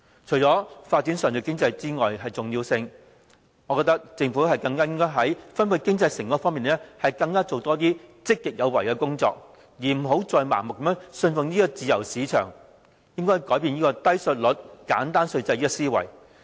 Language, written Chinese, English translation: Cantonese, 除了發展上述經濟之外，我覺得政府更加應該在分配經濟成果方面，做更多積極有為的工作，不要再盲目信奉自由市場，而應放棄"低稅率、簡單稅制"的思維。, Apart from developing the economies above I believe the Government should be more proactive in the distribution of economic outcome . It must not blindly follow the free market and should relinquish the low and simple tax regime philosophy